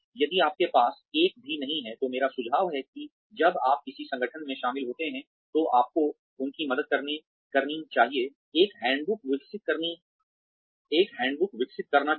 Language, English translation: Hindi, If you do not have one, I suggest that, when you join an organization, you should help them, develop a handbook